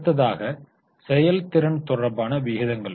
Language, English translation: Tamil, The next one are the efficiency related ratios